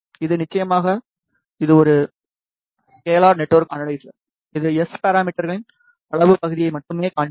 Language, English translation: Tamil, And this is of course, magnitude this being a scalar network analyzer; it will display only the magnitude part of the S parameters